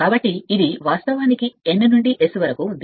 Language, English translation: Telugu, So, this is actually and this is the from N to S